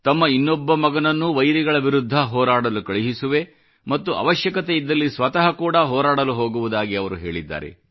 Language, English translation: Kannada, He has expressed the wish of sending his second son too, to take on the enemy; if need be, he himself would go and fight